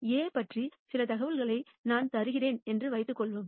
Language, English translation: Tamil, Now let us assume I give you some information about A